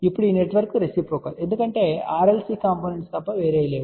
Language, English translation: Telugu, Now, this network is reciprocal because all these are nothing but RLC component